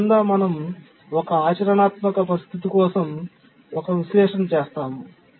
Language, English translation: Telugu, So under that we can do an analysis for a practical situation